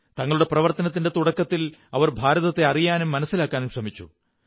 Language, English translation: Malayalam, At the beginning of their endeavour, they tried to know and understand India; tried to live India within themselves